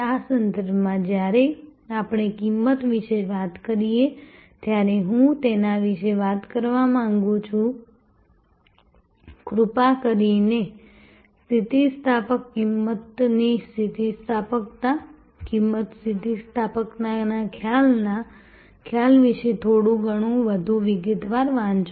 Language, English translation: Gujarati, In this respect, I would like to talk about when we talk about price, please do read about a little bit more in detail about the elasticity, price elasticity, the concept of price elasticity